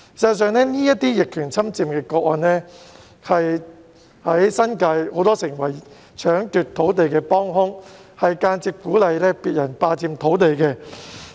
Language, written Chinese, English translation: Cantonese, 事實上，這些逆權侵佔個案，成為很多人在新界搶奪土地的幫兇，間接鼓勵別人霸佔土地。, In fact these adverse possession cases have become a helping hand to many people who snatch a lot of land in the New Territories and indirectly encouraged people to occupy others land